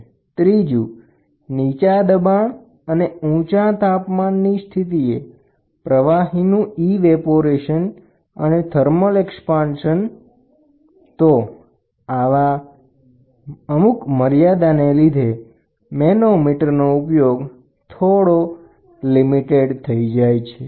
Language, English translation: Gujarati, Thermal expansion of the fluid and evaporation of the fluid at low pressure and high temperature conditions, these are some of the very important points which make difficulty in using manometer